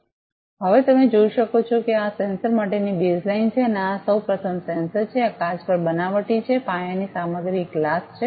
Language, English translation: Gujarati, So, now you can see this is the base line the for this sensor first of all this is a sensor, this is fabricated on a glass, the base material is a glass